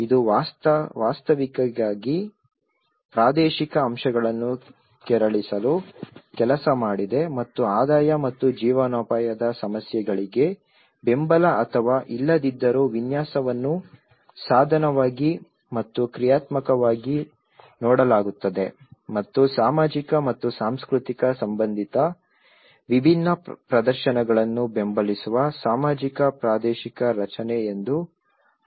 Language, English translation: Kannada, It actually worked to tease out the spatial elements and one is the layout is viewed both instrumentally and functionally whether support or not the issues of income and livelihood and it can also be interpreted as socio spatial construct which supports different performatives related to social and cultural life